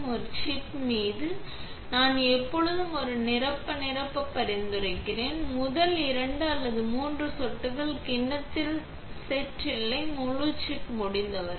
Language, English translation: Tamil, On a chip, I would always recommend to a fill the entire chip, make the first 2 or 3 drops go in the bowl set, no, the entire chip, as much as possible